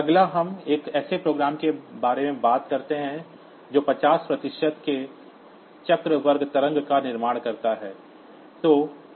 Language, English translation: Hindi, Next, we talk about a program that produces a square wave of duty cycle 50 percent